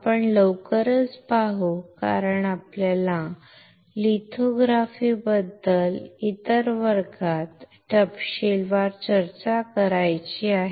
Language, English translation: Marathi, Very quickly we will see because we have to discuss lithography in detail in some other class